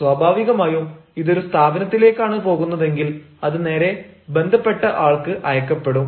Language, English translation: Malayalam, naturally if it goes to the organization but straightway it will be sent to the person concern